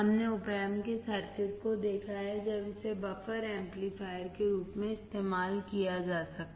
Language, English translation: Hindi, We have seen the circuit of an OP Amp, when it was used as a buffer